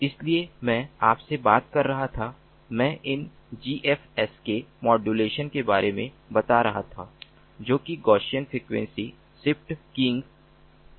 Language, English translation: Hindi, so i was talking to you, i was mentioning about these gfsk modulation, which is gaussian frequency shift keying